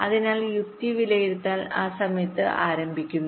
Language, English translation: Malayalam, ok, so logic evaluation begin at that time